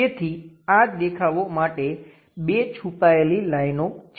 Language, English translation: Gujarati, So, two hidden lines for this view